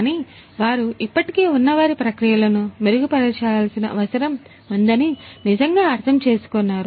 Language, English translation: Telugu, But, they really understand that they need to improve their existing processes